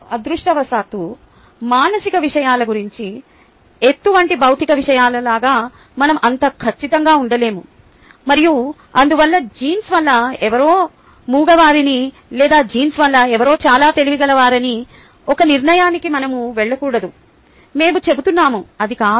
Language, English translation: Telugu, fortunately, about psychological matters we cannot be so certain as in the case of physical matters like height, and therefore we should not jump to a conclusion that somebody is dumb due to genes or somebody is very highly intelligent because of genes